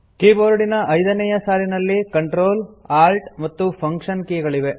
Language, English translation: Kannada, The fifth line of the keyboard comprises the Ctrl, Alt, and Function keys